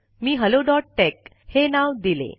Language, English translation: Marathi, I have named it hello.tex